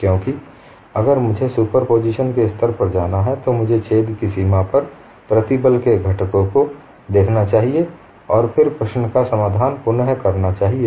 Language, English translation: Hindi, My focus is only on that because if I have to go to the level of superposition, I must look at the stress components on the boundary of the hole and then recast the problem